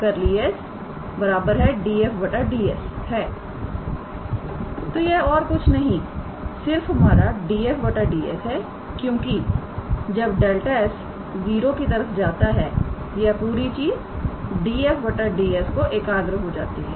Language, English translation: Hindi, So, this is nothing, but our df dS because when delta S goes to 0, this whole thing we will converge to df dS